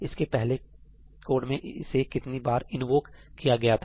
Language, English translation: Hindi, How many times was that being invoked in the earlier code